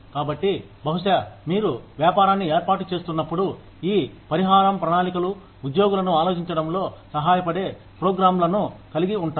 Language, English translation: Telugu, So, maybe, when you are just setting up a business, the compensation plans could involve programs, that help the employees think